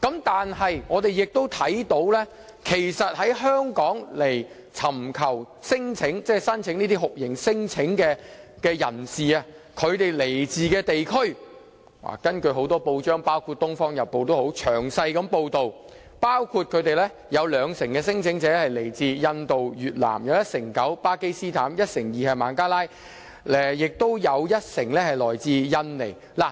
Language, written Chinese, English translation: Cantonese, 但是，我們亦看到來香港尋求酷刑聲請的人士所來自的地區，根據多份報章，包括《東方日報》等詳細報道，有兩成聲請者來自印度、越南；有一成九來自巴基斯坦；一成二來自孟加拉，亦有一成來自印尼。, However with regard to countries of origin for torture claimants in Hong Kong according to the detailed coverage in many newspapers including the Oriental Daily News 20 % of them came from India and Vietnam 19 % of them from Pakistan 12 % from Bangladesh and 10 % from Indonesia